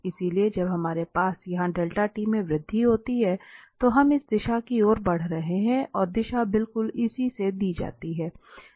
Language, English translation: Hindi, So when we have an increment here in delta t, we are moving to this direction and the direction is given exactly by this one